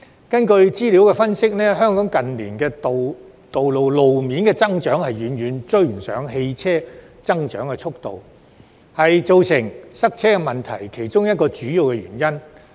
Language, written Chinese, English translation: Cantonese, 根據資料的分析，近年，香港路面的增長遠遠未能追上汽車的增長速度，這是造成塞車問題的其中一個主要原因。, According to an analysis of data the growth in road space in Hong Kong has been far outpaced by that of motor vehicles in recent years and this is one of the major causes of traffic congestion